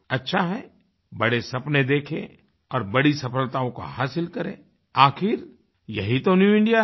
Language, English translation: Hindi, I feel it is good, dream big and achieve bigger successes; after all, this is "the New India"